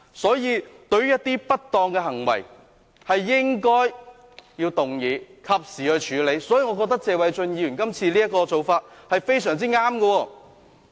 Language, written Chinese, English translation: Cantonese, 所以，對於一些不當的行為，應該動議及時處理，我認為謝偉俊議員今次的做法非常正確。, Hence a motion should be moved to handle improper behaviour promptly . I reckon Mr Paul TSE has done the right thing this time